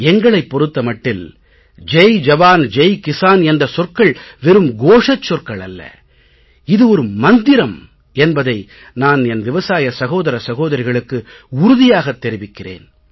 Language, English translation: Tamil, I want to reassure my farmer brothers and sisters that 'Jai Jawan Jai Kisan' is not merely a slogan, it is our guiding Mantra